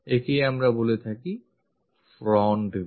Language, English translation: Bengali, This is what we call front view